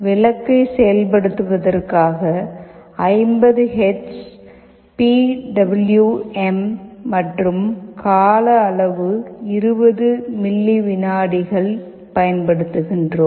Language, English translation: Tamil, And for activating the bulb we have assumed that, we have using 50 Hertz PWM, with time period 20 milliseconds